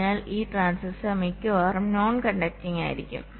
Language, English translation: Malayalam, so this transistor will be mostly non conducting